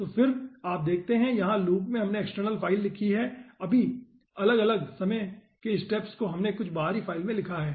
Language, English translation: Hindi, and then you see, here in the loop we have written the external file, all the informations in different time steps we have written in some external file so that we can visualized the result